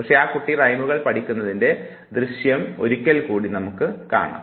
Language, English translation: Malayalam, But now let us replay the same video and see how the child learns the rhymes